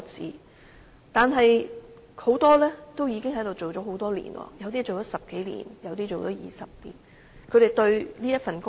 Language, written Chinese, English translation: Cantonese, 可是，她們很多已經在此工作多年，有些工作了10多年，有些更是20多年。, However they have been working there for many years . Some have been working for more than 10 years others more than 20 years